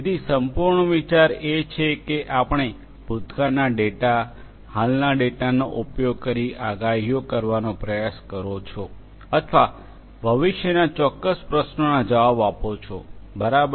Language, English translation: Gujarati, So, the whole idea is that you use the past data, existing data you use and then you try to make predictions or answer certain questions for the future, right